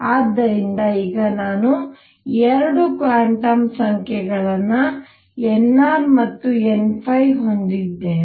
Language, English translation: Kannada, So, now, I have 2 quantum numbers n r and n phi